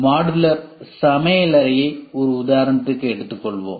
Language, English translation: Tamil, Let us take an example of modular kitchen